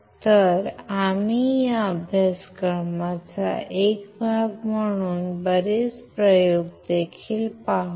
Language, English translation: Marathi, So, we will also see lot of experiments as a part of this course